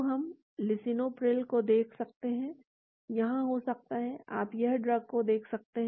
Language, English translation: Hindi, So, we can see the lisinopril, may be here, you can see the drug here